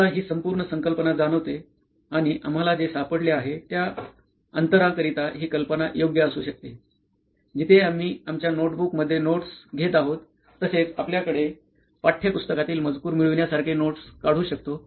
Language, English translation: Marathi, We feel this whole concept and this idea could be a right fit in for that gap what we have found out, where we can actually take down notes like we are taking down notes in our notebooks and also have access to textbook content like we been having through all the textbook content